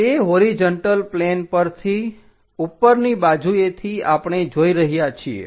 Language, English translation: Gujarati, On that horizontal plane from top side we are viewing